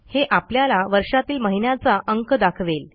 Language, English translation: Marathi, It gives the month of the year in numerical format